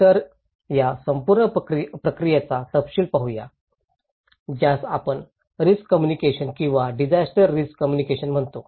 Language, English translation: Marathi, So, let us look into the detail of this entire process, which we call risk communications or disaster risk communications